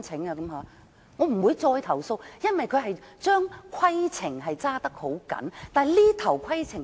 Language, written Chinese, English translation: Cantonese, 我不會再投訴，因為懲教署嚴格執行規定。, I will not complain again because they were exercising the rules strictly